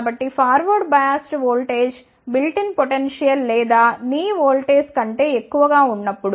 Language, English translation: Telugu, So, when the forward biased voltage is greater than the built in potential or the knee voltage